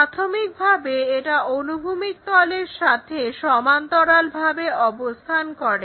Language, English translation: Bengali, So, a rectangle parallel to horizontal plane